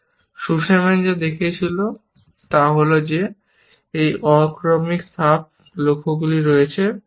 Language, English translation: Bengali, What Sussman showed was that there are these non serializable sub goals, essentially